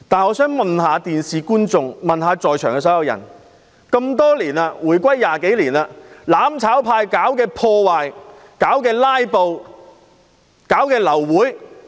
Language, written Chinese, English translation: Cantonese, 我想問觀眾及在場所有人士，回歸20多年來，"攬炒派"是否經常搞破壞、"拉布"、造成流會？, I would like to ask the audience and all those present for more than 20 years since the reunification has the mutual destruction camp often created havoc engaged in filibustering and caused the abortion of meetings?